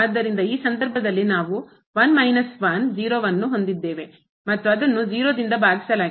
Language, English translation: Kannada, So, in this case we have 1 minus 1 0 and divided by 0